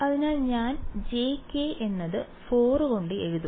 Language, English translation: Malayalam, So, I will write j k by 4